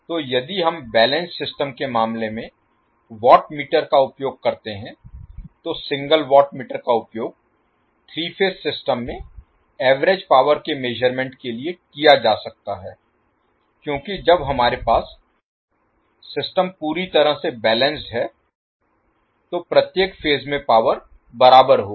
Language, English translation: Hindi, So if we use the watt meter in case of balance system single watt meter can be used to measure the average power in three phase system because when we have the system completely balanced the power in each phase will be equal